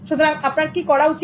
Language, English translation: Bengali, So what should you be doing